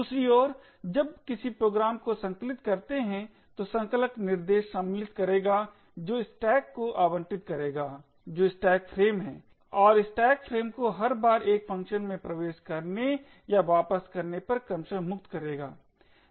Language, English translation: Hindi, On the other hand when you compile a program the compiler would insert instructions that would allocate stack that is a stack frame and free the stack frame every time a function is entered or returned respectively